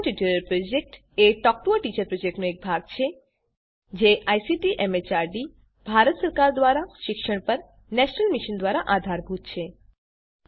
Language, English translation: Gujarati, Spoken Tutorial Project is a part of the Talk to a Teacher project and It is supported by the National Mission on Education through ICT, MHRD, Government of India